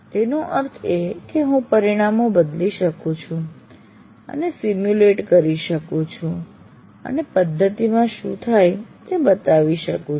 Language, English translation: Gujarati, That means I can change the parameters and simulate and show what happens at the, what comes out of the system